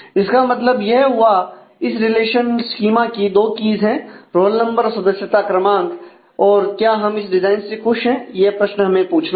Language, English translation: Hindi, Which mean that this design this relational schema has two keys the roll number and the member number now are we happy with this design that is a question we need to ask